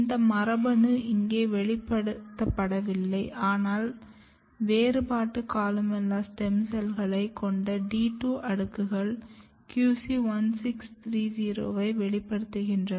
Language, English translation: Tamil, This gene is not expressed here, but the D 2 layers which has the differentiated columella cells express Q 1630